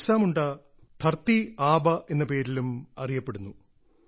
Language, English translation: Malayalam, Bhagwan Birsa Munda is also known as 'Dharti Aaba'